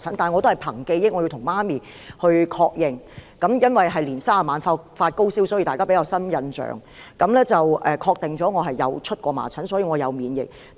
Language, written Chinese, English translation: Cantonese, 我母親已確認，由於我在農曆年三十晚發高燒，所以大家印象比較深，她確認我曾患麻疹，所以我有免疫力。, My mother confirmed this fact as I had a high temperature on the eve of Chinese New Year and the impression was long lasting . Since I had been infected with measles I should have immunity against the disease